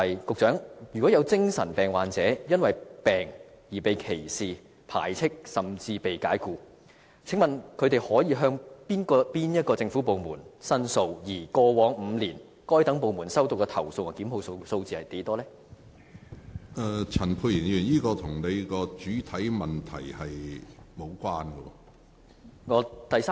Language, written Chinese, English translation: Cantonese, 局長，如果有精神病患者，因為患病而被歧視、排斥，甚至被解僱，請問他們可以向哪些政府部門申訴，而過往5年，該等部門收到的投訴和作出檢控的個案是多少？, Secretary if psychiatric patients are discriminated obstracized or even dismissed for reason of their illnesses which government departments should they approach to lodge complaints; how many complaints have the departments receive and how many prosecutions have been instituted in the past five years?